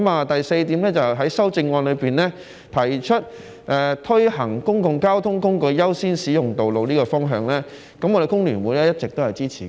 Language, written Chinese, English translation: Cantonese, 第四，修正案也提出推行公共交通工具優先使用道路的方向，我們工聯會一直也是支持的。, Fourth the amendment also proposes the direction of giving priority to the use of roads by public transport . We FTU have always supported it